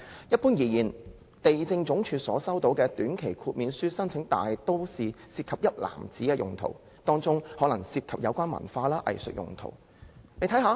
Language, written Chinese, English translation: Cantonese, 一般而言，地政總署收到的短期豁免書申請，大都是涉及"一籃子"用途，當中可能涉及有關文化及藝術用途。, Generally speaking applications for short - term waivers received by the Lands Department mostly involve a basket of uses and some of the uses may be related to culture and arts